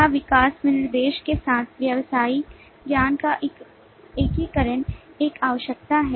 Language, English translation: Hindi, Is a integration of business knowledge with the development specification is a requirement